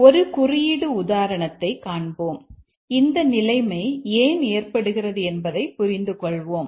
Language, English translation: Tamil, We will see a code example and understand why that situation occurs